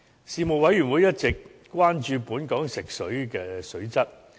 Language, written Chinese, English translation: Cantonese, 事務委員會一直關注本港食水的水質。, The quality of our drinking water has been an issue of concern to the Panel